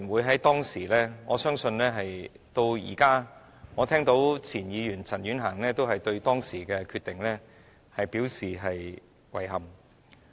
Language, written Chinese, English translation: Cantonese, 在當時，而我相信直到現在，我也聽到工聯會和前議員陳婉嫻對當時的決定表示遺憾。, At that time I could and I believe I still can hear FTU and former Member CHAN Yuen - han express regrets over the decision then